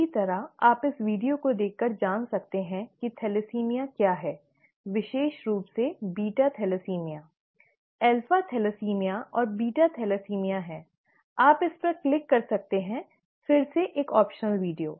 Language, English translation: Hindi, Similarly, you could look at this video for knowing what thalassemia is, especially beta thalassemia; there is alpha thalassemia and beta thalassemia, you could click on this, again an optional video